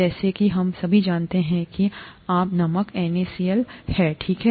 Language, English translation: Hindi, As we all know common salt is NaCl, okay